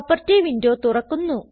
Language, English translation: Malayalam, Property window opens